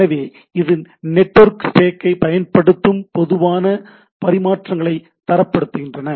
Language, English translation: Tamil, So, it is standardized common types of exchangers using this network stack